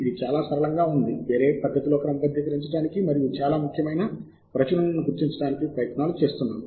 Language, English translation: Telugu, we have taken efforts to sort in a different manner and identify most important publications